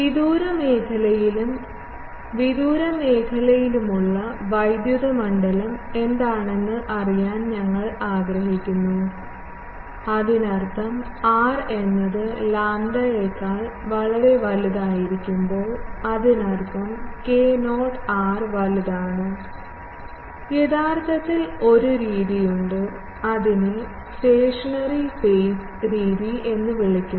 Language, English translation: Malayalam, We want to know what is the electric field in the far zone and in the far zone; that means, when r is much much greater than lambda not; that means, k not r is large, there actually, there is a method, which is called stationary phase method